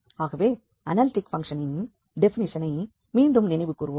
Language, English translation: Tamil, So, just to recall again that what was the analytic the definition for analytic function